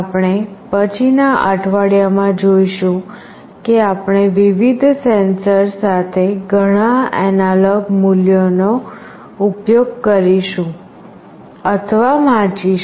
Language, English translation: Gujarati, We will see in the subsequent weeks that we will be using or reading many analog values with various sensors